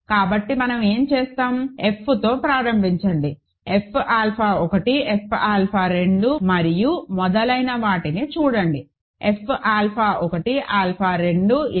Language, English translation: Telugu, So, then what do we do is start with F, look at F alpha 1, F alpha 2 and so on, all the way to F alpha 1, alpha 2, alpha n